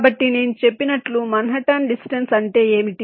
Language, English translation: Telugu, so, as i said, what is manhattan distance